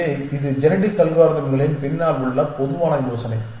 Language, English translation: Tamil, So, that is the general idea behind genetic algorithms